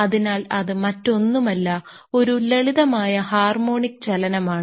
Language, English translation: Malayalam, So, that is nothing, but a simple harmonic motion